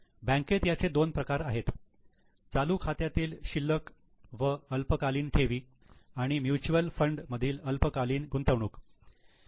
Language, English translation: Marathi, Under bank there are two items, current account balances and short term deposits and short term investments in mutual funds